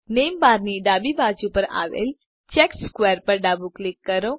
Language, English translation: Gujarati, Left click the checkered square to the left of the name bar